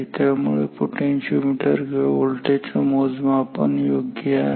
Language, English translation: Marathi, Therefore, this voltmeter or this potentiometer actually is measuring the right voltage